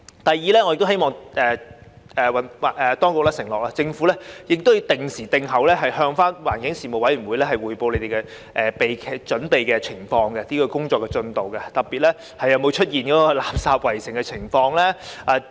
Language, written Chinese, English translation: Cantonese, 第二，我亦希望當局承諾會定期向環境事務委員會匯報準備期內各項工作的進度，特別是有否出現"垃圾圍城"的情況。, Secondly I also hope that the Government will undertake to report regularly to the Panel on Environmental Affairs on the progress of work in various respects during the preparatory period especially on whether there is the situation where our city is like being besieged by rubbish